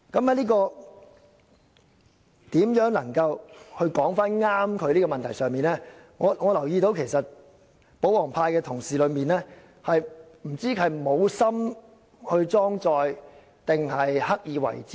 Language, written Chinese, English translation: Cantonese, 就正確表達中港法制之間的關係，我留意到，有些保皇派同事不知道是無心裝載，還是刻意為之？, Regarding the accurate expression of the legal relationship between China and Hong Kong I am not sure if some pro - Government colleagues have paid no attention to it or acted deliberately